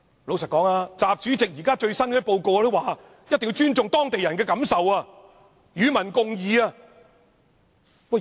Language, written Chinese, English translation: Cantonese, 老實說，習主席在最新的報告中也說一定要尊重當地人的感受，與民共議。, You see in his latest work report even President XI also talks about the necessity of respecting the feelings of local people and public engagement